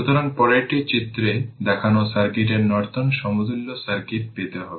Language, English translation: Bengali, So, we have here we have to obtain the Norton equivalent circuit